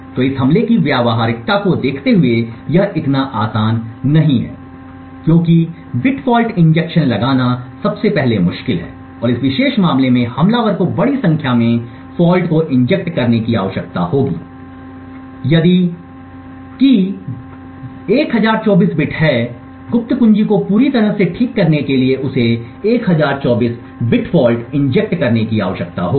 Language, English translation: Hindi, So looking at the practicality of this attack it is not going to be that easy because injecting bit false is first of all difficult and in this particular case the attacker would need to inject a large number of faults so if the key side is say 1024 bit he would need to inject 1024 bit false in order to fully recover the secret key